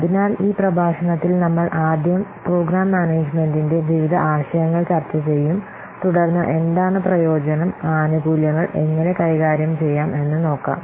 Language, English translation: Malayalam, So in this lecture we will discuss first the various concepts of program management, then what is benefit, how benefits can be managed